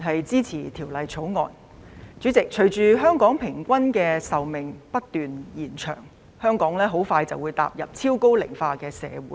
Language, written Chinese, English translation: Cantonese, 主席，隨着香港人平均壽命不斷延長，香港即將踏入超高齡化社會。, President as the average life expectancy of Hong Kong people continues to increase Hong Kong is about to become a super - aged society